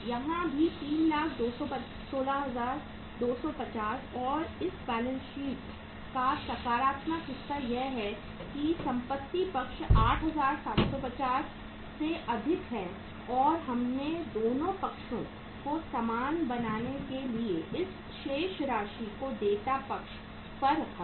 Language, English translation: Hindi, Here also 3,16,250 and the positive part of this balance sheet is that the assets side is more by 8750 and that we have put this balance on the liability side to make both the sides are equal